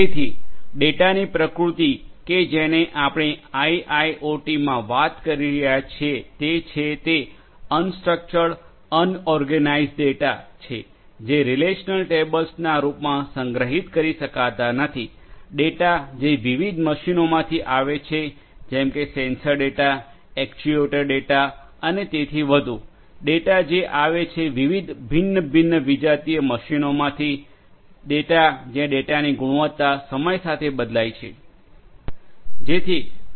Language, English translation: Gujarati, So, the nature of data that we are talking about in IIoT are unstructured unorganized data which cannot be stored in the form of relational tables, data which are coming from different machines, sensor data, actuator data and so, on, data which are coming from different; different other heterogeneous machines, data where the quality of the data varies with time